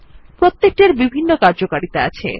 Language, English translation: Bengali, Each one has a different function